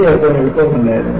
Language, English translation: Malayalam, And, it was not easy to clean